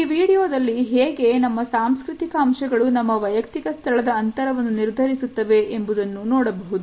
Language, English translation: Kannada, In this particular video, we can look at the cultural aspects which govern our personal space